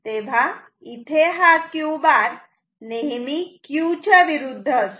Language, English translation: Marathi, So, Q bar will be always opposite to Q